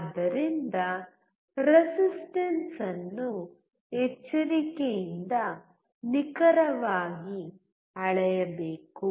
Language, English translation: Kannada, So the resistance has to be carefully measured accurately